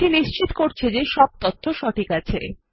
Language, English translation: Bengali, This is to confirm that all the information is correct